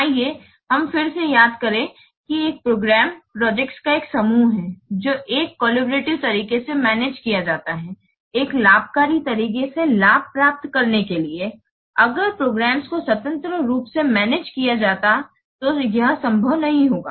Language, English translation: Hindi, Let us recall again a program is a group of projects which are managed in a coordinated way, in a collaborative way to gain benefits that would not be possible if the projects would have been managed independently